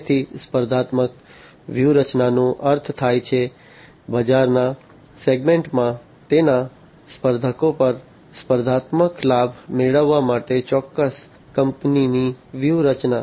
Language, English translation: Gujarati, So, competitive strategy means, the strategy of a particular company to gain competitive advantage over its competitors, in the market segment